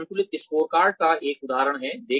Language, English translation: Hindi, This is an example of a balanced scorecard